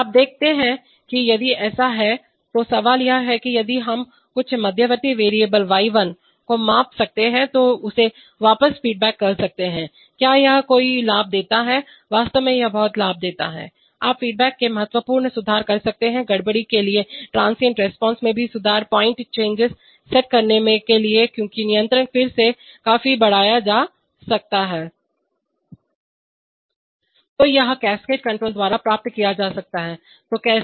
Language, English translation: Hindi, So you see that, so if, so the question is that if we could measure some intermediate variable y1 then feeding it back, does it give any advantage, actually it gives plenty of advantage, you can give significant improvement in response, to disturbance, also improvement in transient response, to step, to set point changes because the controller again can be significantly enhanced